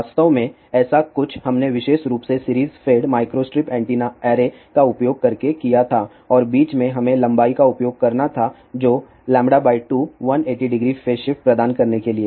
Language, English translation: Hindi, In fact, something like this we have to use specially in one of the application using series fed micro strip antenna array and in between we have to use the length which was lambda by 2 to provide 180 degree phase shift